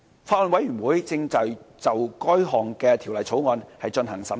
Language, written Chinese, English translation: Cantonese, 法案委員會正對該條例草案進行審議。, The Bill is under scrutiny by the Bills Committee